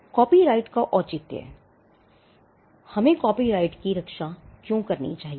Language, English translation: Hindi, The rationale of copyright: Why should we protect copyrights